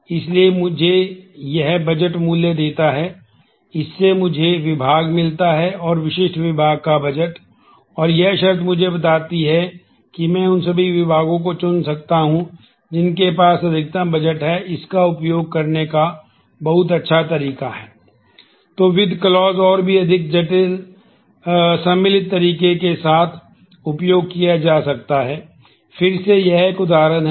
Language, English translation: Hindi, So, this gives me the budget value, this gives me the department and department specific budget, and this condition tells me that I can choose all the departments which has the maximum budget very nice way of using this